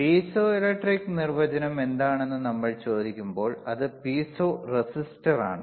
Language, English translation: Malayalam, And when we ask what is piezoelectric the definition, it will be of piezo resistor